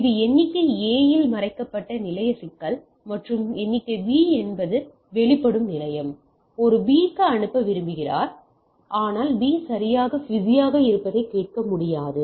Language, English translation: Tamil, So, this is a hidden station problem on the A figure A and figure B is the expose station; A wants to send to B, but cannot hear that B is busy right